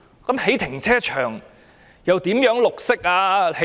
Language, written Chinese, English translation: Cantonese, 興建停車場又如何綠色呢？, How would the construction of a car park be green?